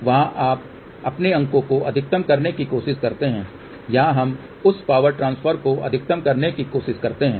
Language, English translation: Hindi, So, there you try to maximize your marks here we try to maximize that power transfer